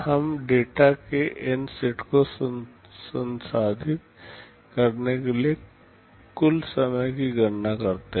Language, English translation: Hindi, We calculate the total time to process N sets of data